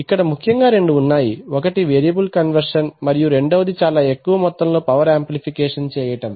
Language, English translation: Telugu, So the main, so there are two things done one is variable conversion, second thing is big amount of power amplification is to be done